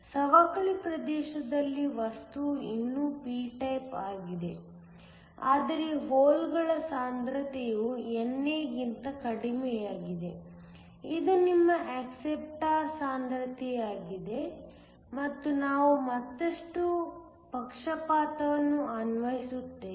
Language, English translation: Kannada, In the depletion region, the material is still a p type, but the concentration of holes is less than NA, which is your acceptor concentration and we apply a further bias